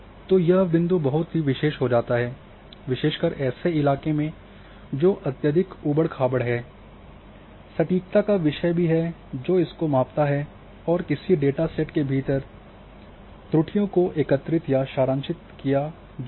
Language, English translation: Hindi, So, this point becomes very important especially the terrain which is highly rugged accuracy thumb is also is there is a measure of that a measure that aggregates or summarizes the errors within a data set